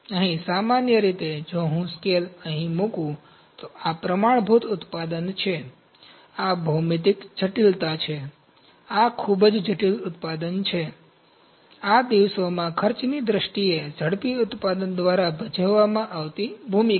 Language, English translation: Gujarati, Here in general if I put scale here, this is a standard product, this is the geometric complexity, this is a very complex product, this is the role played by rapid manufacturing in the terms of costs these days